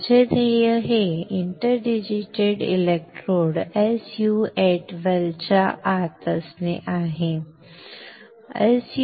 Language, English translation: Marathi, My goal is to have these interdigitated electrodes inside the SU 8 well, right